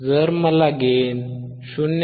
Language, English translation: Marathi, So that, 0